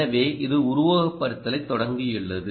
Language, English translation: Tamil, it has started the simulation